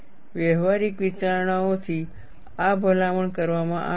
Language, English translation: Gujarati, This is recommended from practical considerations